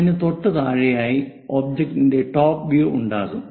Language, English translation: Malayalam, Just below that a top view of the object will be there